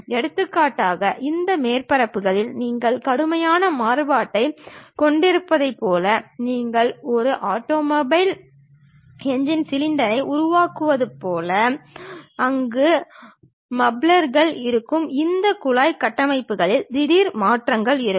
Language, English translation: Tamil, For example, like you have drastic variation on these surfaces, like you are making a automobile engine cylinder where mufflers will be there, sudden change in this pipeline structures will be there